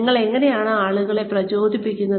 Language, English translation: Malayalam, How do you motivate people